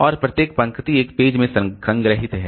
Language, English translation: Hindi, And each row is stored in one page